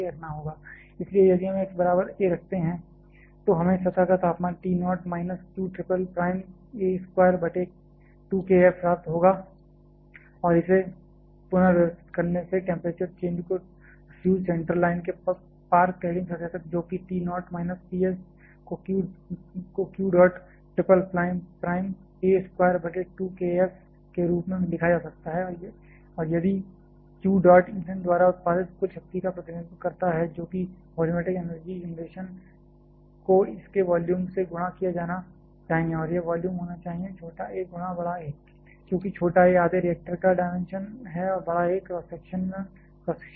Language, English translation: Hindi, So, if we put x equal to a we are going to get the surface temperature T naught minus q triple triple prime a square by 2 k F and by rearranging this the temperature change across the fuel central line to the cladding surface that is T naught minus T s can be written as q dot triple prime a square by 2 k F and if q dot represents the total power that has been produced by the fuel that should be the volumetric energy generation multiplied by the volume of this and this volume should be small a into capital A; because small a is the dimension of half of the reactor and capital A is the cross section area